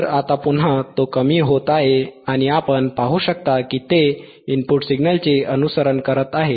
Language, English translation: Marathi, So, now you are again, he is decreasing and you can see it is following the input signal